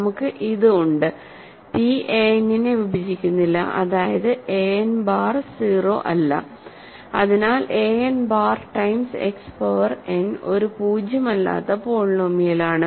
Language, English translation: Malayalam, So, we have this and also p does not divide a n that means, a n bar is not 0, so a n bar times X power n is a non zero polynomial